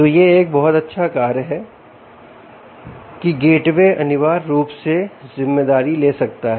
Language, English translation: Hindi, so this is one very nice function that the gateway can ah, essentially take responsibility of